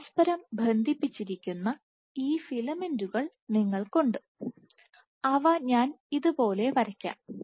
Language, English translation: Malayalam, So, you have these filaments which are connected to each other I will just draw like this let us say